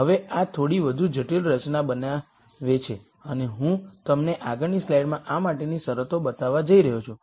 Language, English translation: Gujarati, Now this becomes a little more complicated formulation and I am going to show you the conditions for this in the next slide